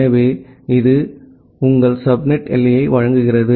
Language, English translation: Tamil, So, this gives your subnet boundary